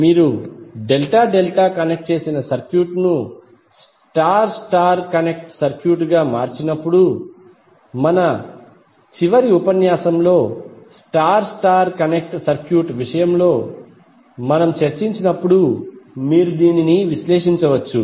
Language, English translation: Telugu, So using that when you convert delta delta connected circuit into star star connected circuit, you can simply analyze as we discuss in case of star star connected circuit in the last lecture